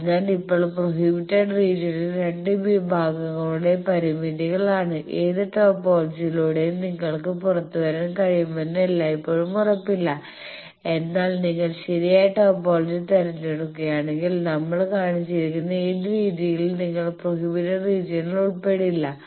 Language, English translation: Malayalam, So, based on that now prohibited regions are limitations of 2 sections matching, always it is not guaranteed that you will be able to come out by any topology, but if you choose the proper topology then whatever way we have shown you would not be in the prohibited region